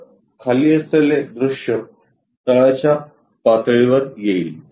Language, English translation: Marathi, So, the bottom one comes at bottom level